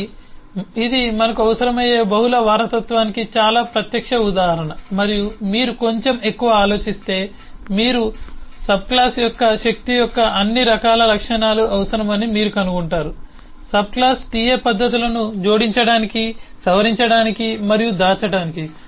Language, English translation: Telugu, so this one very direct example of multiple inheritance we will need and if you think little bit more you will find that you will need all different kinds of properties of rather power, of subclass, sub class ta to add, modify and hide methods